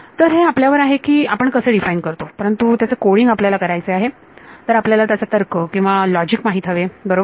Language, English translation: Marathi, So, up to you how do you defining it, but you because you are going to code it, you need some logic right